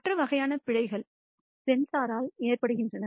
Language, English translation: Tamil, The other kind of errors is due to the sensor itself